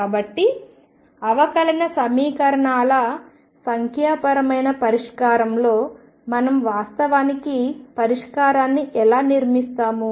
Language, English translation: Telugu, So, in numerical solution of differential equations we actually construct the solution how do we do that